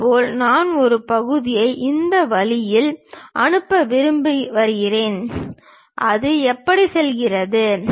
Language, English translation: Tamil, Similarly, I would like to pass a section in this way, comes goes; how it goes